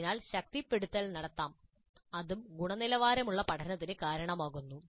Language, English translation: Malayalam, So reinforcement can be done and that is also found to be contributing to quality learning